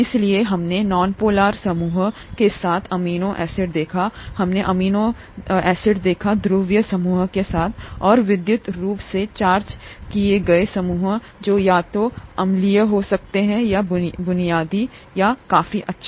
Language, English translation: Hindi, So we saw amino acids with nonpolar groups, we saw amino acids with polar groups, and electrically charged groups which could either be acidic or basic, thatÕs good enough